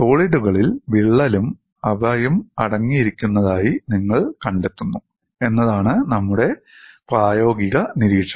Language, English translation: Malayalam, Our practical observation is you find solids contain crack and they remain so